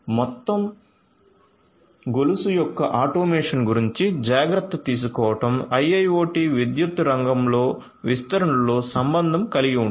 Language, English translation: Telugu, So, taking care of the automation of the whole chain is what is of concern in the IIoT deployment in the power sector